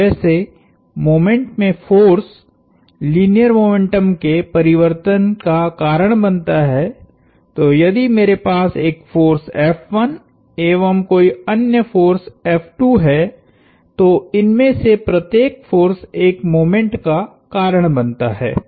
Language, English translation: Hindi, So, just as four force causes change of linear momentum in moment, so if I have a force F some other force F 2, each of these forces causes a moment